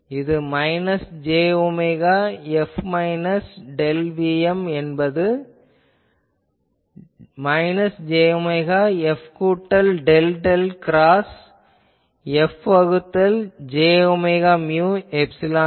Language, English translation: Tamil, So, E F will be known and H F, I can find out is equal to minus j omega F minus del Vm is equal to minus j omega F plus del del cross F by j omega mu epsilon